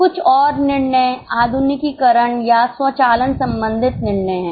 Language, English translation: Hindi, Some more decisions are modernization or automation decision